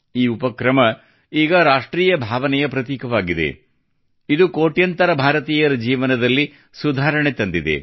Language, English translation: Kannada, Today this initiative has become a symbol of the national spirit, which has improved the lives of crores of countrymen